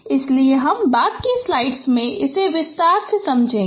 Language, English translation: Hindi, So I will elaborate in subsequent slides